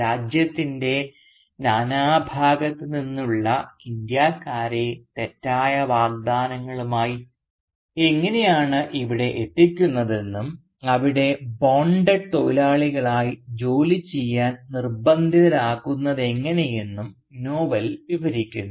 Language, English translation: Malayalam, And the novel describes how Indians from all over the country are brought there with false promises and are then forced to work there almost as bonded labourers